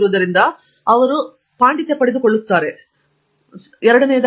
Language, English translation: Kannada, So, you can see that you are gaining Mastery